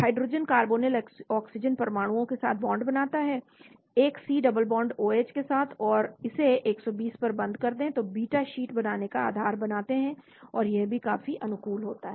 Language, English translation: Hindi, Hydrogen bonds to carbonyl oxygen atoms with a C double bond O H and close it to 120 form the basis for beta sheet formation, and that is also quite favorable